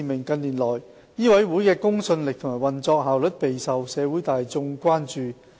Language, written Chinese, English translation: Cantonese, 近年來，醫委會的公信力和運作效率備受社會大眾關注。, The credibility and operational efficiency of MCHK has become a prime public concern in recent years